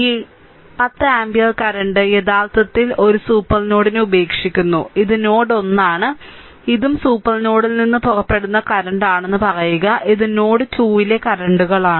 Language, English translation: Malayalam, And this 10 ampere current actually it is leaving the supernode and this is node 1, say this is also current leaving the supernode, say i 1 and this is the currents at node 2, this is the i 2, right